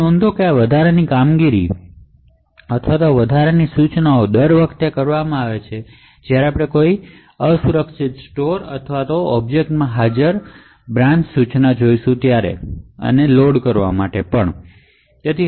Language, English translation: Gujarati, So, note that these extra operations or these extra instructions are done every time we see an unsafe store or a branch instruction present in the object that we want to load